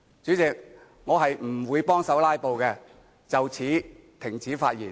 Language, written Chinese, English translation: Cantonese, 主席，我不會協助"拉布"，就此停止發言。, President in order not to help them filibuster I shall stop here